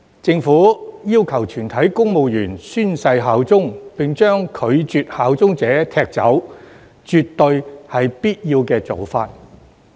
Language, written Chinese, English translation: Cantonese, 政府要求全體公務員宣誓效忠，並將拒絕效忠者踢走，絕對是必要的做法。, It is absolutely necessary for the Government to require all civil servants to swear allegiance and kick out those who refuse to do so